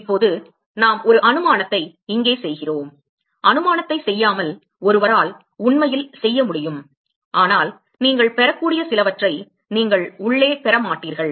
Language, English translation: Tamil, Now, we make an assumption here one could actually do without doing the assumption, but you will not get some inside that you will get